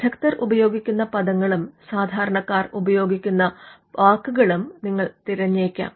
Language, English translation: Malayalam, And you would also look at words used by experts, as well as words used by laymen